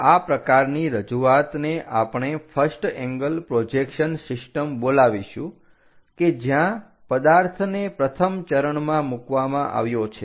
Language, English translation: Gujarati, This kind of representation what we call first angle projection system where the object is placed in the first coordinate